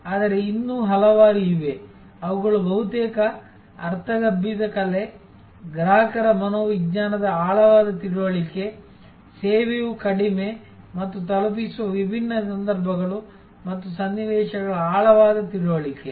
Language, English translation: Kannada, But, there are several still, which almost is intuitive art, deep understanding of the consumer psychology, deep understanding of the different occasions and situations in which service is short and delivered